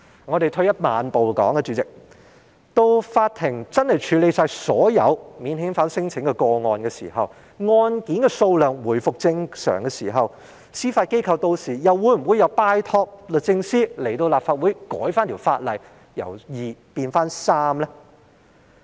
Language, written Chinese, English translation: Cantonese, 主席，退一萬步來說，到了法庭處理完所有免遣返聲請個案，案件數量回復正常的時候，司法機構屆時又會否拜託律政司前來立法會修改法例，把法官數目由2名變回3名呢？, President even if it goes that way but will the Judiciary ask the Secretary for Justice to come here again to amend the law in order to resume the 3 - Judge bench by the time the courts have finished processing all the non - refoulement claims and the caseloads have returned to normal levels?